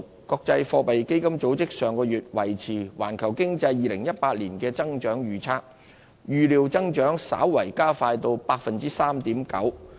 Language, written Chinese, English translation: Cantonese, 國際貨幣基金組織上月維持對環球經濟2018年的增長預測，預料增長稍為加快至 3.9%。, The International Monetary Fund last month maintained its forecast for global economic growth in 2018 expecting a pace of growth that will slightly quicken to 3.9 %